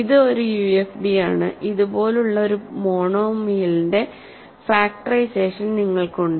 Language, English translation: Malayalam, So, it is a UFD and you have a factorization of a monomial like this